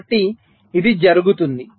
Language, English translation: Telugu, so this happens